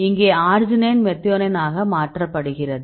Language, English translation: Tamil, So, here arginine to methionine